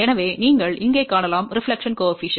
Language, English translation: Tamil, So, you can see here reflection coefficient is 0